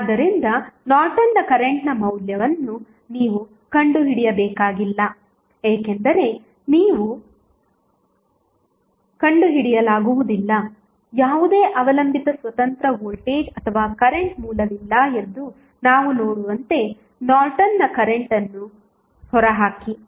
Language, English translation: Kannada, So, it means that you need not to find out the value of Norton's current because you cannot find out Norton's current as we see there is no any depend independent voltage or current source